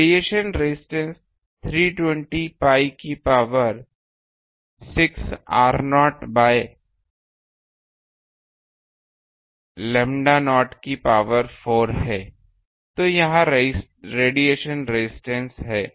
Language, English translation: Hindi, The radiation resistance is 320 pi to the power 6 r naught by lambda naught to the power 4; so, this is the radiation resistance